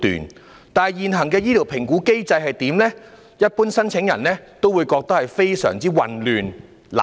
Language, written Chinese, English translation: Cantonese, 可是，對於現行醫療評估機制，一般申請人也會感到混淆和難以理解。, However as regards the existing medical assessment mechanism applicants generally find it confusing and incomprehensible